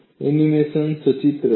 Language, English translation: Gujarati, Look at the animation